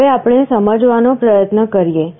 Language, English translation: Gujarati, Now, let us try to understand